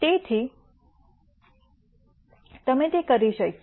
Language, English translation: Gujarati, So, you could do that